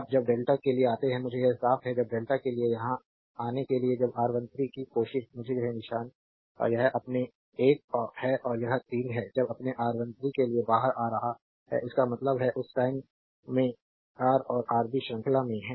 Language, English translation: Hindi, Now when you come to delta let me clean it, when you come to delta here right here when you try to R 1 3; let me mark it right this is your 1 and this is 3 when you your coming out to your R 1 3; that means, in that time Ra and Rb are in series right